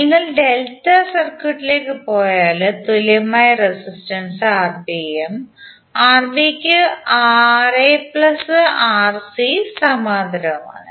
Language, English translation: Malayalam, And if you go to the delta circuit, the equivalent resistance would be Rb and Rb will have parallel of Rc plus Ra